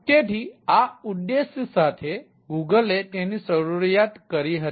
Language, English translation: Gujarati, so this was a objective of google which it started with